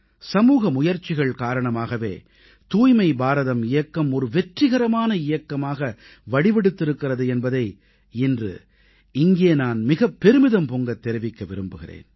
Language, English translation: Tamil, Today, I'm saying it with pride that it was collective efforts that made the 'Swachch Bharat Mission' a successful campaign